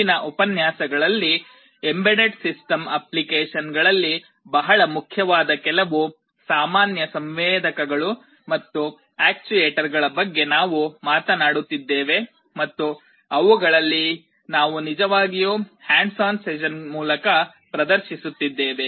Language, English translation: Kannada, In the next lectures, we shall be talking about some of the common sensors and actuators that are very important in embedded system applications, and many of them we shall be actually demonstrating through the hands on sessions